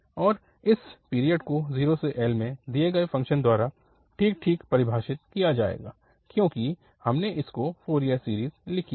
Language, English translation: Hindi, And exactly this period will be defined by the given function 0 to L because we have written its Fourier series